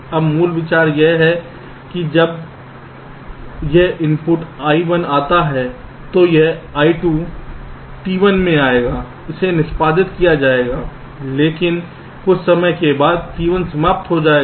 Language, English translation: Hindi, now the basic idea is that when this input, i one, comes first, i one will be come into t one, it will get executed, but after sometime t only finished